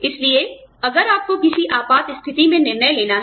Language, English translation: Hindi, So, if you have to take decision, in an emergency